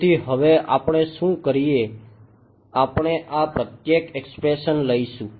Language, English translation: Gujarati, So, now, what do we do we will take these guys each of this expression